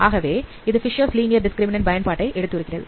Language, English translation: Tamil, This is how the Fisher's linear discriminant works